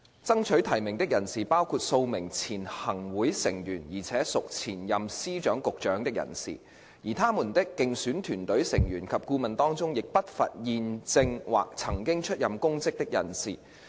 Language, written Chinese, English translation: Cantonese, 爭取提名的人士包括數名前任行會成員而且屬前任司局長的人士，而他們的競選團隊成員及顧問當中，亦不乏現正或曾經出任公職的人士。, Persons seeking nomination include several former ExCo Members who are also former Secretaries of Department or Directors of Bureau . Besides among such persons electioneering team members and advisers quite a number of them are holding or once held public offices